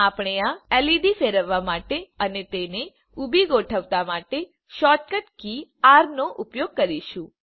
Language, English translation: Gujarati, We will use the keyboard shortcut key r for rotating the LED and aligning it vertically